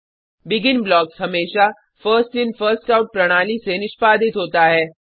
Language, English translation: Hindi, BEGIN blocks always get executed in the First In First Out manner